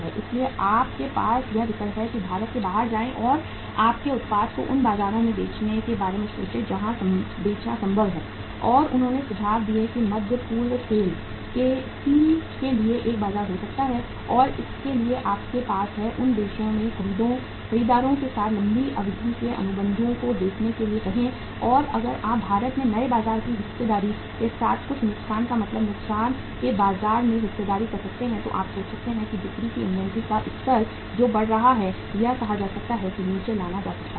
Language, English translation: Hindi, So you have the option is that you look to go out of India and think of selling your product in those markets where is it possible to sell and they suggested that Middle East could be a market for the steel of the SAIL and for that you have to look for the long term say contracts with the buyers in those countries and if you can make up some loss means loss market share in India with the new market share in those countries then you can think of that the sales that inventory level which is mounting that can be thought of bring brought down say that can be brought down